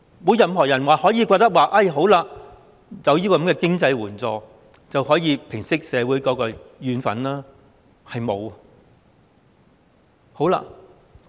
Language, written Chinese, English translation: Cantonese, 沒有任何人表示，只要有這些經濟援助，便可以平息社會的怨憤，是沒有的。, No one has said that as long as such financial assistance is offered the social resentment will subside . None